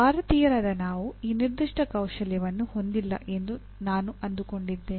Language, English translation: Kannada, This is somehow as Indians, I find that we do not have this particular skill